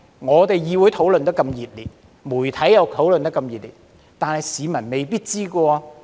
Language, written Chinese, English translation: Cantonese, 儘管議會討論得那麼熱烈，媒體亦討論得很熱烈，但市民是未必知道的。, Despite the heated discussions in the legislature and the media the public may not be aware of this